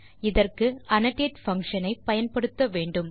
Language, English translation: Tamil, To do this use the function annotate